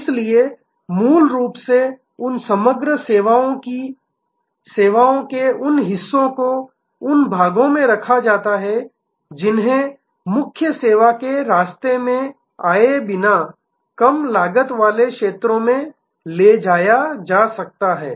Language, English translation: Hindi, So, fundamentally those parts of services of a total composite service those parts, which could be moved to a low cost region without coming in the way of the main service